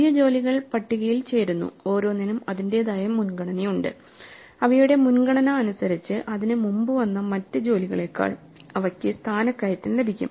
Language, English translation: Malayalam, New jobs keep joining the list, each with its own priority and according to their priority they get promoted ahead of other jobs which may have joined earlier